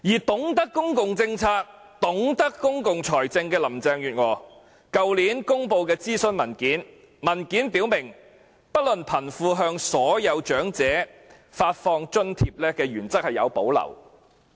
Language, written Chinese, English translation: Cantonese, 懂得公共政策和公共財政的林鄭月娥去年公布諮詢文件，文件表明對不論貧富，向所有長者發放津貼的原則有所保留。, Consequently some young people bought her point . Carrie LAM well - versed in public finance and public policies released a consultation document last year . The document expressed clearly reservations about the principle of issuing an allowance to all the elderly regardless of rich or poor